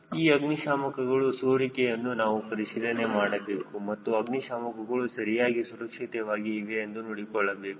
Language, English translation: Kannada, this fire extinguisher we need to check for the leaks and whether the fire extinguisher is properly secured